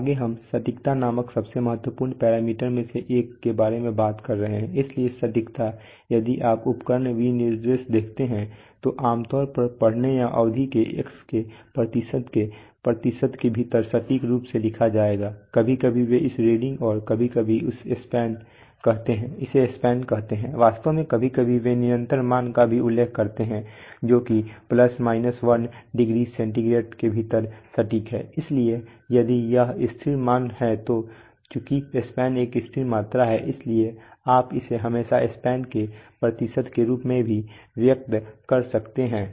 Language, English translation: Hindi, Next let us talk about one of the most important parameter called accuracy, so accuracy, if you see instrument specification there will be, there will be generally written as accurate to within X percent of either reading or span sometimes they say reading sometimes they say span in fact sometimes they also mentioned constant values that is accurate within plus minus 1 degree centigrade so if when this constant value then since the span is a constant quantity so you can always express it as a percentage of span also right